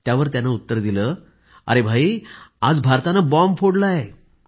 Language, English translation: Marathi, " And he replied, "India has exploded the bomb today